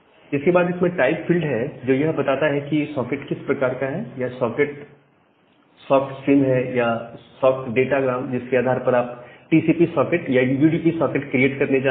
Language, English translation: Hindi, Then the type of the field it is type of the socket either SOCK stream or SOCK datagram based on whether you are going to create a TCP socket or a UDP socket